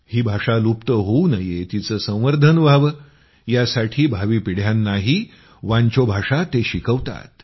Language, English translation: Marathi, He is also teaching Wancho language to the coming generations so that it can be saved from extinction